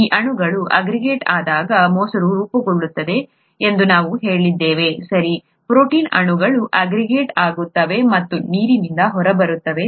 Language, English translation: Kannada, We said curd forms when these molecules aggregate, right, the protein molecules aggregate and get out of water